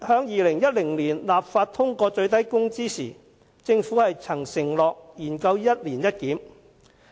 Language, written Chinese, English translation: Cantonese, 2010年立法會通過《最低工資條例》時，政府曾承諾研究"一年一檢"。, When the Minimum Wage Ordinance was passed in this Council in 2010 the Government undertook to study annual reviews